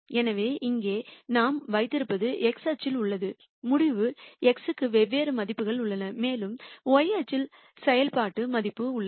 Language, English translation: Tamil, So, what we have here is in the x axis we have di erent values for the decision variable x and in the y axis we have the function value